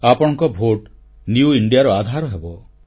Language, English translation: Odia, Your vote will prove to be the bedrock of New India